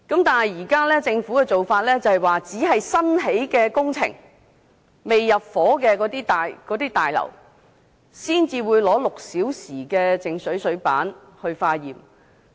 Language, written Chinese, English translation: Cantonese, 但是，政府現時的做法，只會對新建工程或未入伙的大廈，抽取靜止6個小時的水樣本化驗。, However it is the current practice of the Government to take 6HS water samples from new estates or completed but not yet occupied buildings only